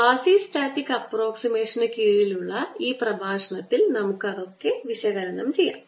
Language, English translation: Malayalam, we will analyze that in this lecture under quasistatic approximation